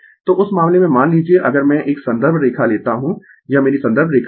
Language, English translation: Hindi, So, in that case suppose if I take a reference reference line this is my reference line